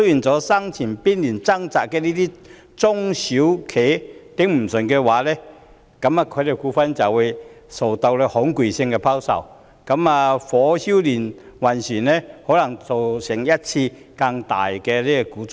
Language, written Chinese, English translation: Cantonese, 在生存邊緣掙扎的中小企無法支持下去的話，他們的股票就會受到恐慌性拋售，火燒連環船，可能造成一次更大的股災。, If the SMEs which are struggling to survive cannot sustain there will be panic selling of their stocks resulting in a knock - on effect which may cause a bigger stock market crash